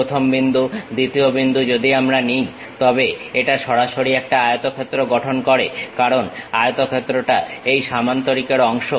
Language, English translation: Bengali, First point, second point, if we are picking, then it construct directly a rectangle because rectangle is part of this parallelogram